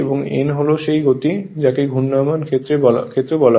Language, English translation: Bengali, And n is that speed of the your what you call that your rotating field